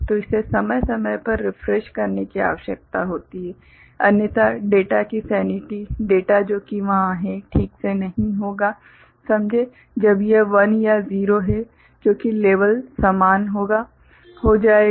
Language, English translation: Hindi, So, it requires periodic refreshing, otherwise the sanity of the data the data that is there will not be properly you know, understood, when it is a 1 or a 0, because the level will become similar